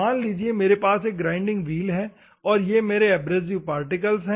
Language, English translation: Hindi, Assume that I have this particular abrasive particle in a grinding wheel